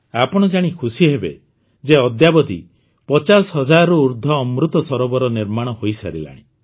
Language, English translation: Odia, You will be pleased to know that till now more than 50 thousand Amrit Sarovars have been constructed